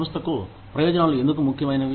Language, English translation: Telugu, Why are benefits important for the company